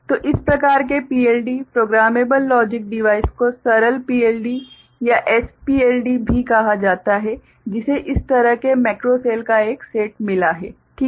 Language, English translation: Hindi, So, this type of PLD, programmable logic device is also called simple PLD or SPLD which has got a set of such macro cell, alright